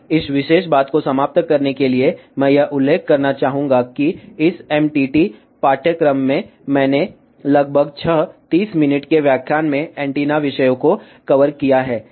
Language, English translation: Hindi, Now, to conclude this particular thing, I would like to mention that in this MTT course, I have covered antenna topics in roughly six 30 minutes lecture